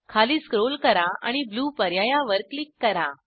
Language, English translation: Marathi, Scroll down and click on Blue option